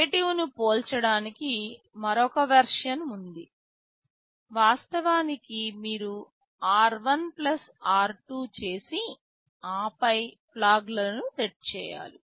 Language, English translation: Telugu, There is another version compare negative; actually it means you do r1 + r2 and then set the flags